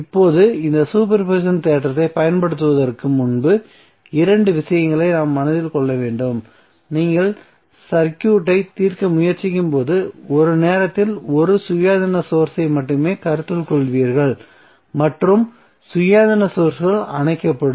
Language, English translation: Tamil, Now before applying this super position theorem we have to keep 2 things in mind that when you try to solve the circuit you will consider only one independent source at a time while the other independent sources are turned off